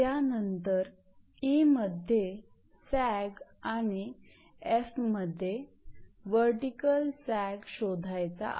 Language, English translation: Marathi, Now, e is the sag in meter and f vertical sag in your meter